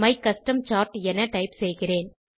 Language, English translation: Tamil, I will type my custom chart